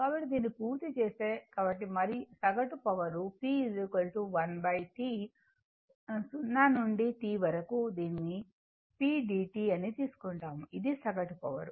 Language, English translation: Telugu, So, once if you done then the, so the average power you take p is equal to 1 upon T 0 to T what you call p dt right, the average power